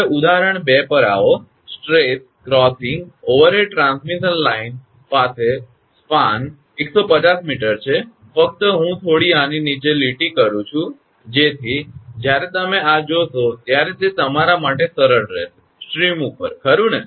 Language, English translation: Gujarati, Now come to example 2, a stress crossing over head transmission line has a span of 150 meter right, it is 150 meter, just I am underline something such that when you will see this it will be easier for you right, over the stream right